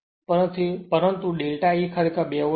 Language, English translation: Gujarati, So, delta E will be 1 into 2